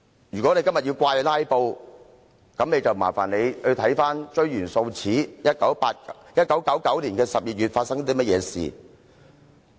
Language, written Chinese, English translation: Cantonese, "如果他們今天要怪責"拉布"，那便煩請他們追源溯始，看看1999年發生何事。, If they are putting the blame on filibusters today they should trace the origin and find out what happened back in 1999 . Of course filibustering so to speak is not unique to Hong Kong